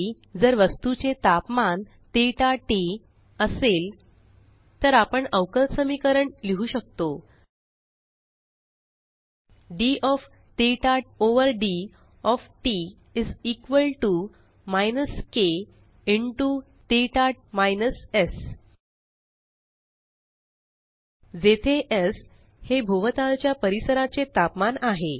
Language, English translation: Marathi, If theta of t is the temperature of an object at time t, then we can write a differential equation: d of theta over d of t is equal to minus k into theta minus S where S is the temperature of the surrounding environment